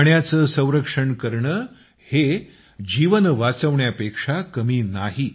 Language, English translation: Marathi, Conserving water is no less than saving life